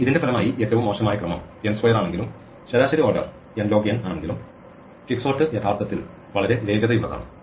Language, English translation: Malayalam, As a result of this because though it is worst case order n squared, but an average order n log n, quicksort is actually very fast